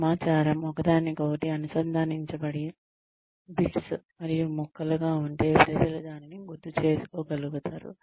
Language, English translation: Telugu, If the information is in bits and pieces, that are not connected to each other, then people will not be able to remember it